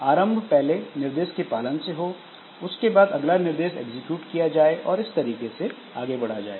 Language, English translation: Hindi, So, one instruction is executed, then the next instruction is executed and like that it goes on